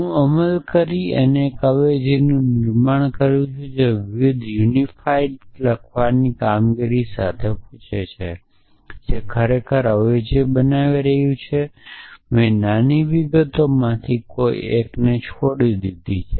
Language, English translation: Gujarati, So, I implemental build a substitution that leads with ask with the task of writing the var unify which is really building the substitution I might have skipped one of the small details does not matter x